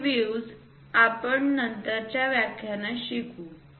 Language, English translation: Marathi, These views we will learn in the later lectures